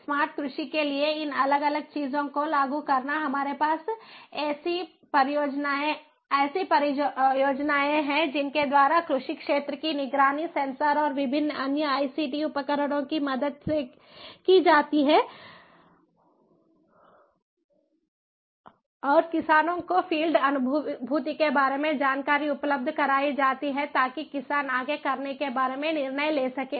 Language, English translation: Hindi, for smart agriculture, we have ah projects by which the agricultural field are monitored with the help of censors and different other ict tools, and that information about the field cognition is made available to farmers so that the farmers can decide accordingly about what to do next